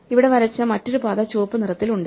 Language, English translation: Malayalam, So, here is one path drawn in blue